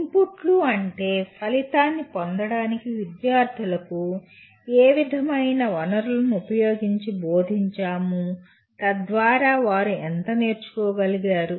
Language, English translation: Telugu, Inputs would mean what material is taught to the outcomes to what students have learned